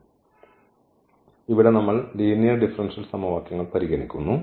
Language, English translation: Malayalam, So, here we consider the linear differential equations